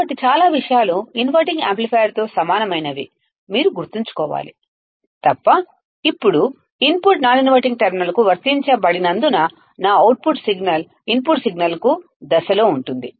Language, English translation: Telugu, So, you have to remember that most of the things are similar to the inverting amplifier except that now since the input is applied to the non inverting terminal my output signal would be in phase to the input signal